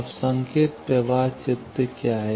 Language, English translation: Hindi, Now, what is a signal flow graph